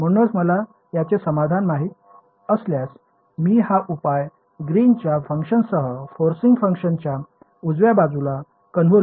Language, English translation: Marathi, So, if I know the solution to this guy this I this solution becomes a convolution of the forcing function the right hand side with the Green’s function right